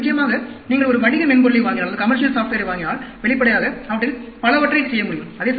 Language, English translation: Tamil, And of course, if you buy a commercial software, obviously, many of them could be done